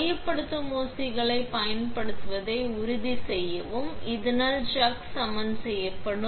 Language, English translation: Tamil, Make sure to use the centering pins so that the chuck is leveled